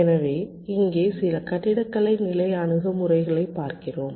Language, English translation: Tamil, so we look at some of the architecture level approaches here